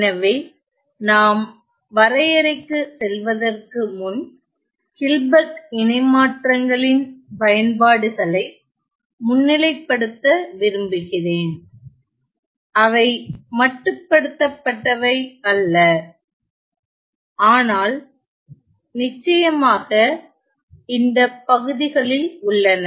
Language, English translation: Tamil, So, before we move on to the definition I wanted to highlight the applications of Hilbert transforms which are not limited but definitely present in these areas